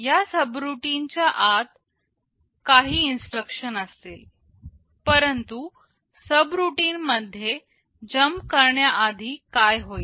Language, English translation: Marathi, Inside this subroutine there will be some instructions, but before jump into the subroutine what will happen